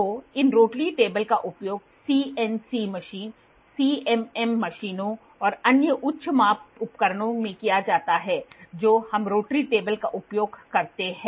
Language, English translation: Hindi, So, these rotary tables are used in CNC machine, CMM machines and very other high measurement devices we use a rotary table